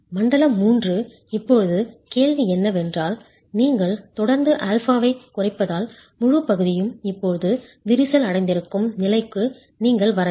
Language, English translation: Tamil, Zone 3, now the question is as you keep reducing alpha, you should come to a point where the entire section is now cracked